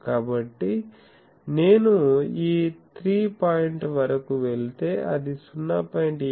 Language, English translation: Telugu, So, if I go up to this 3 point like where 0